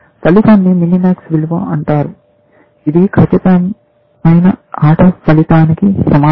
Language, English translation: Telugu, The outcome is called the minimax value, is equal to outcome of perfect play, one more thing